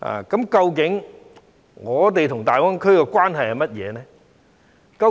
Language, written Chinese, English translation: Cantonese, 究竟我們與大灣區的關係是甚麼？, What really is our relationship with GBA?